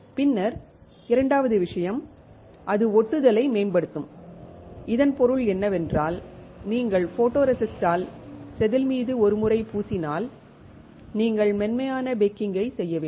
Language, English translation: Tamil, Then the second thing is that it will improve the adhesion; which means that once you coat on the wafer with the photoresist, you have to perform soft baking